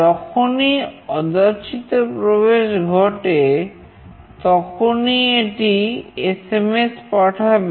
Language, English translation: Bengali, Whenever an unauthorized access takes place, it will send SMS